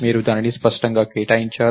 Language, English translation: Telugu, You have only explicitly allocated it